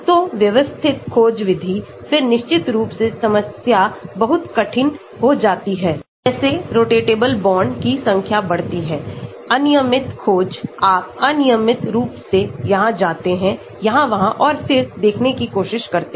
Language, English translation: Hindi, So, systematic search method, then of course problem becomes very difficult as the number of rotatable bonds become more, random search, you randomly go here, there here there and then try to see